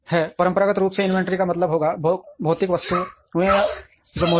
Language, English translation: Hindi, Traditionally inventory would mean physical items which are present